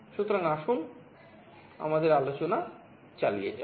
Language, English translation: Bengali, So, let us continue with our discussion